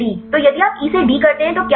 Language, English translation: Hindi, So, if you do E to D what will happen